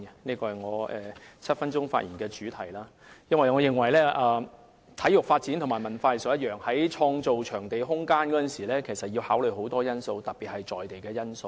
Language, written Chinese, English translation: Cantonese, 這是我7分鐘發言的主題，因為我認為體育發展與文化藝術無異，在創造場地空間時要考慮很多因素，特別是在地因素。, This is the theme of my seven - minute speech because I think that sports development is the same as cultural and arts development in the sense that many factors especially local factors must be taken into account when it comes to developing venues and space